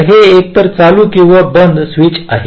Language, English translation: Marathi, so it is either a on, ah on, or a off switch